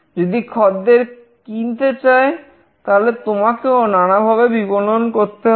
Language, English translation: Bengali, If the customer wants to buy, then you have to also do some kind of marketing